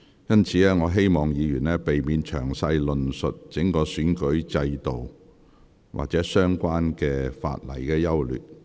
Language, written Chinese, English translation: Cantonese, 因此，請議員避免詳細論述整體選舉制度或相關法例的優劣。, Therefore Members are advised to avoid elaborating on the electoral system as a whole or the general merits of the relevant legislations